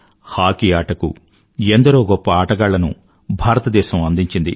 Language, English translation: Telugu, India has produced many great hockey players